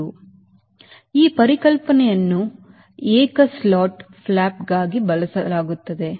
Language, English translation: Kannada, so this concept is used for single slotted flap